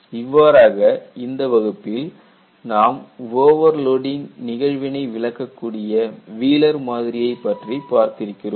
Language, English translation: Tamil, So, in this class, what we had done was, we had looked at Wheeler's model, to explain the overload phenomena